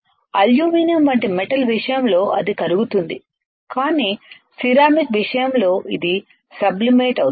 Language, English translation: Telugu, In case of metal like aluminum it will melt, but in case of ceramics it will sublimate right find what is sublimation